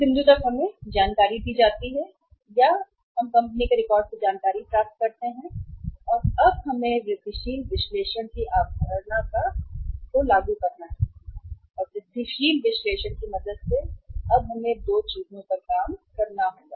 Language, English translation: Hindi, Up till this point we are given the information or we have fetched the information from the company records and now we have to apply the concept of the incremental analysis and with the help of the incremental analysis we will have to work out 2 things now